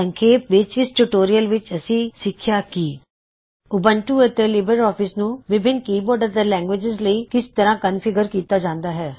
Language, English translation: Punjabi, In this tutorial, We learnt how to configure Ubuntu and LibreOffice for keyboard and language settings